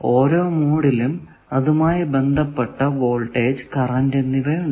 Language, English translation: Malayalam, Now, every mode has its own counterpart of voltage and current